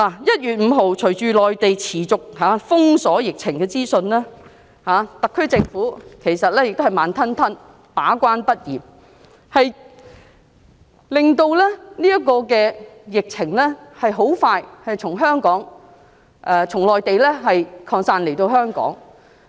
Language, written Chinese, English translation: Cantonese, 1月5日，隨着內地持續封鎖疫情資訊，特區政府仍然慢條斯理，把關不嚴，致令疫情很快便從內地擴散到香港。, On 5 January with the Mainland withholding the epidemic information continuously and the SAR Government still acting slowly without guarding the borders strictly the epidemic soon spread to Hong Kong from the Mainland